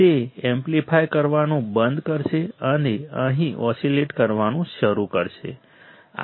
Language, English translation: Gujarati, It will stop amplifying and start oscillating here